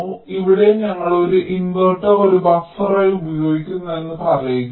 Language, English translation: Malayalam, so here lets say we are using an inverter as a buffer